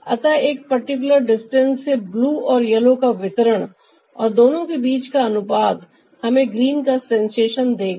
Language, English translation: Hindi, so, from a particular distance, the blue and yellow distribution and the ratio between the two will give us the sensation of green